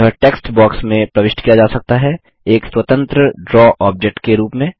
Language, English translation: Hindi, It can be inserted into a text box as an independent Draw object